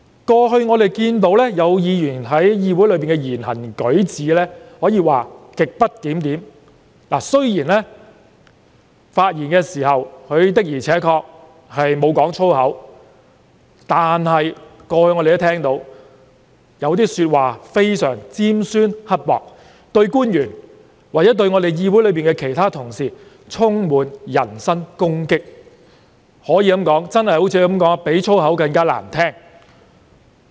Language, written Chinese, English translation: Cantonese, 據我們過去所見，有議員在議會內的言行舉止可謂極不檢點，雖然在發言時的確沒有講粗口，但我們聽到有些說法非常尖酸刻薄，對官員或議會其他同事充滿人身攻擊，可謂比粗口更難聽。, Our observation over all this time shows that the conduct of certain Members in the legislature has been grossly disorderly . While it is true to say that they have not used any foul language in their speeches some of their words as we have heard are very mean and harsh and they are filled with personal attacks on officials or other Members in the legislature . It can be said that they sound even more unpleasant than foul language